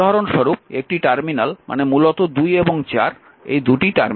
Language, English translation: Bengali, So, 3 terminal means basically these 2 terminals